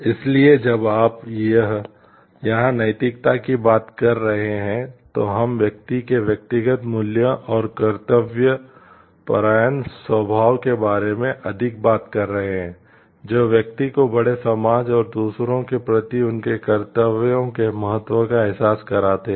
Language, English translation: Hindi, So, we when you are talking of ethics here we are more talking of the personal values and dutiful nature of the person, who which makes the person realize the importance of their duties towards the greater society and to others